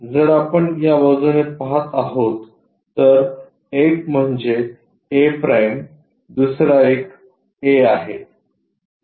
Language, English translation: Marathi, That is the thing if we are looking from this side one is a’ other one is a